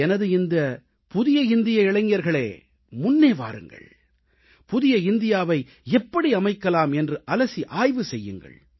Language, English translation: Tamil, My New India Youth should come forward and deliberate on how this New India would be formed